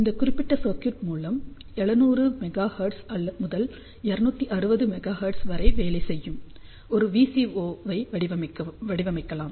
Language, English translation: Tamil, In fact, we have used this particular circuit to design a VCO which works from 700 megahertz till 2600 megahertz